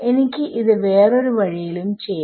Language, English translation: Malayalam, I could have done at the other way also